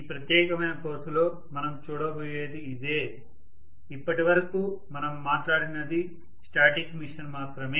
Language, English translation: Telugu, That is what we are going to look at in this particular course on the whole, until now what we talked about was only a static machine